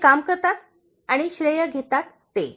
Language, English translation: Marathi, Those who do the work and those who take the credit